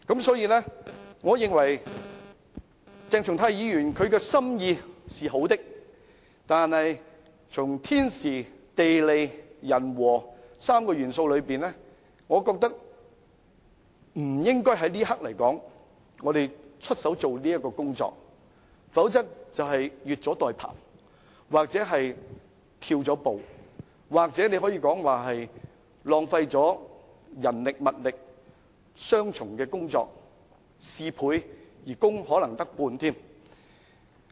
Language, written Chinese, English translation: Cantonese, 所以，我認為鄭松泰議員的心意是好的，但從天時、地利、人和3個元素考慮，我覺得不應在這一刻進行這項工作，否則便是越俎代庖，或是偷步，或者更可以說是浪費人力和物力，做了雙重的工作，事倍而可能只有功半。, Therefore while I think Dr CHENG Chung - tais motion has good intention but taking into account the three conditions of timing geographical and human conditions I think we should not undertake the work right now . Otherwise we will be taking others job into our hands or making a pre - emptive move . Or it can be said that we will be wasting manpower and resources and making twice the effort for half the effect